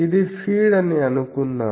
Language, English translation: Telugu, Suppose this is the feed